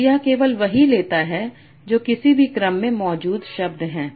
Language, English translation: Hindi, So it takes only what are the words present in any order